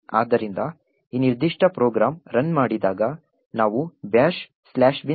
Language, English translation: Kannada, So, when this particular program runs we would have the bash slash bin slash bash getting executed